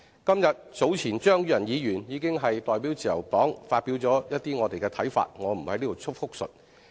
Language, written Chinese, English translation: Cantonese, 張宇人議員今天早前已代表自由黨發表了一些看法，我不在此複述。, Mr Tommy CHEUNG has expressed some views on behalf of the Liberal Party earlier today and I am not going to repeat them here